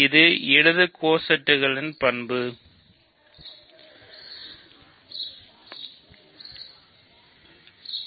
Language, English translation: Tamil, This is a property of left cosets, right